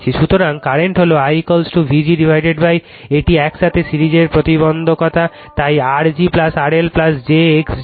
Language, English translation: Bengali, So, current is I is equal to V g upon this is the series impedance together, so R g plus R L plus j x g right